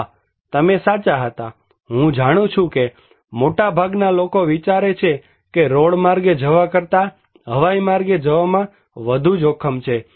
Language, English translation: Gujarati, Yes, you were right, I know, most of the people think that going by air is risky than by road